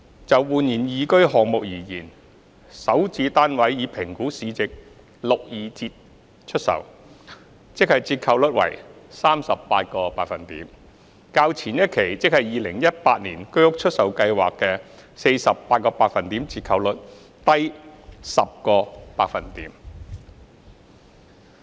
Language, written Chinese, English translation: Cantonese, 就煥然懿居項目而言，首置單位以評估市值六二折出售，即折扣率為 38%， 較前一期居屋出售計劃的 48% 折扣率低 10%。, As for the eResidence project SH units were sold at 62 % of the assessed market values ie . a discount rate of 38 % which was 10 % less than the 48 % discount for the previous HOS sale exercise ie . in 2018